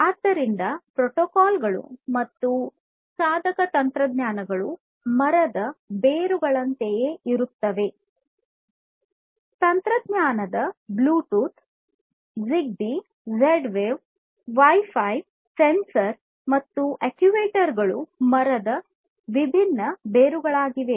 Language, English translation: Kannada, So, these protocols and device technologies are sort of like the roots of the tree; technologies such as Bluetooth, ZigBee, Z Wave wireless , Wi Fi, sensors, actuators these are the different roots of the tree